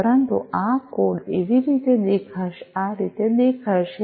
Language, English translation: Gujarati, But this is how this code is going to look like